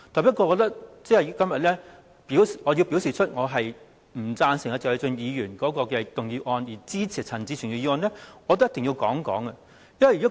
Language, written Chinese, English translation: Cantonese, 不過，如果我要反對謝偉俊議員的議案，並支持陳志全議員的議案，我便一定要解釋。, However as I oppose Mr Paul TSEs motion but support Mr CHAN Chi - chuens motion I must give an explanation in this connection